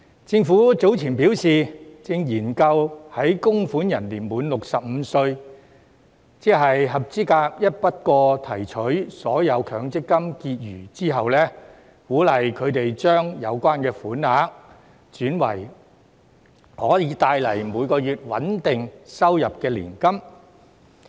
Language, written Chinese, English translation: Cantonese, 政府早前表示正研究在供款人年滿65歲，即合資格一筆過提取所有強積金結餘之後，鼓勵他們將有關款額轉為可以帶來每個月穩定收入的年金。, The Government has indicated earlier that it is studying ways to encourage contributors who reach the age of 65 that is when they become eligible to withdraw all MPF balances in a lump sum to convert the amount concerned into annuities which can provide a stable stream of monthly income